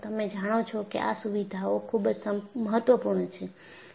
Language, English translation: Gujarati, These features are very important